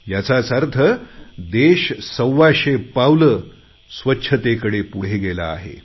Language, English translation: Marathi, This means that the country has taken 125 crore steps in the direction of achieving cleanliness